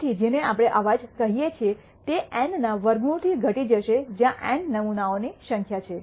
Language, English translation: Gujarati, So, what we call the noise will be reduced by square root of N where N is the number of samples